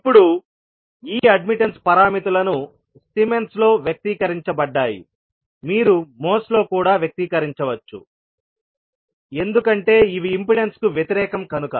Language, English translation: Telugu, Now, these admittance parameters are expressed in Siemens, you can also say expressed in moles because these are opposite to impedance